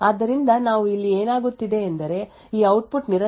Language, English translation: Kannada, So, what we see is happening here is that this output continuously changes from 0 to 1 and so on